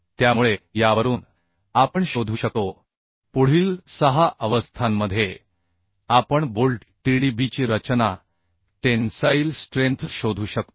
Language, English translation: Marathi, Next, in 6 state we can find out the design tensile strength of bolt, Tdb